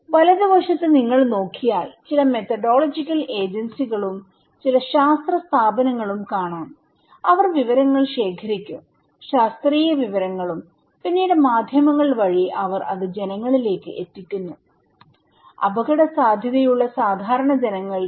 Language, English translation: Malayalam, If you look into the right hand side that is showing that some methodological agency, some scientific bodies, they will collect information; scientific informations and then through the mass media, they pass it to the people; common people who are at risk